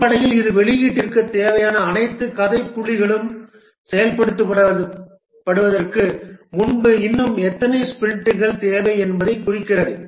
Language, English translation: Tamil, Basically, it represents how many more sprints are required before all the required story points for the release are implemented